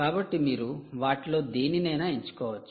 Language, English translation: Telugu, right, so you could choose any one of them, right